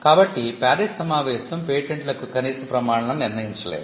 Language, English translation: Telugu, So, the PARIS convention did not set any minimum standard for patents